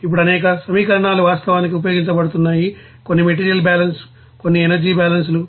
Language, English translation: Telugu, Now there are several equations that are actually being used, some are you know material balance, some are you know energy balances